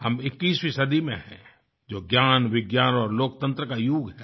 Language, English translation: Hindi, We live in the 21st century, that is the era of knowledge, science and democracy